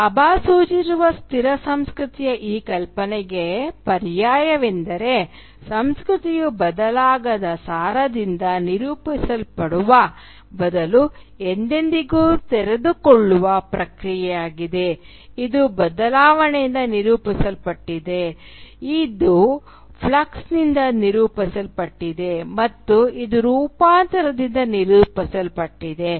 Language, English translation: Kannada, The alternative to this idea of a static culture that Bhabha suggests is that of culture as an ever unfolding process rather than being characterised by an unchangeable essence, it is characterised by change, it is characterised by flux, and it is characterised by transformation